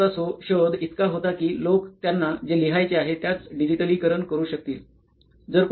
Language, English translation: Marathi, The invention of keyboards was so as or so that people could digitize what they wanted to write